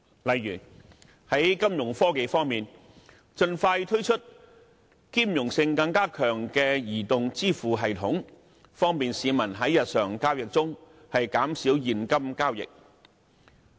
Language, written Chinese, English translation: Cantonese, 例如在金融科技方面，盡快推出兼容性更強的移動支付系統，方便市民在日常交易中減少現金交易。, For example in respect of financial technology a mobile payment system with increased compatibility should expeditiously be introduced to reduce the use of cash in daily transactions for the convenience of people